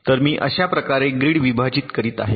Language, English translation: Marathi, so i am splitting the grid like this